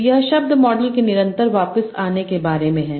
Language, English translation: Hindi, So this is about continuous back of words model